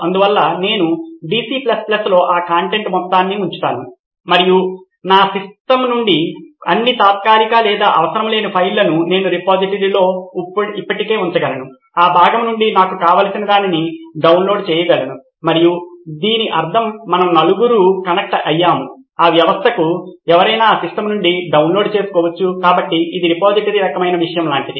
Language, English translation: Telugu, So I go put up all that content in DC++ and I can flush out all the temporary or unrequired files from my system it is already there in the repository, I can download whatever I want from that part and it not just means we four are connected to that system, anyone can download from that system, so it is more like a repository kind of thing as well